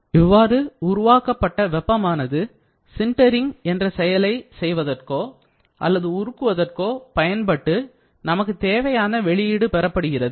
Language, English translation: Tamil, So, it generates heat this heat will be used for sintering or melting and you try to get the required output